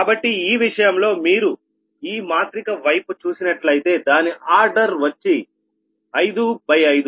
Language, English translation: Telugu, so in this case, the, if you look in to that, this matrix actually order is five in to a five right